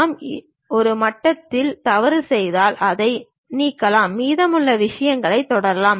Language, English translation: Tamil, Even if we are making a mistake at one level we can delete that, and continue with the remaining things